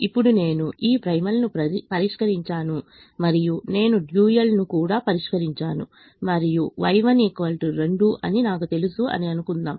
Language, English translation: Telugu, what is means is this: now, let let's assume i have solved this primal and i and i have also solved the dual and i know that y one is equal to two